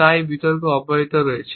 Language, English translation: Bengali, So, this debate has continued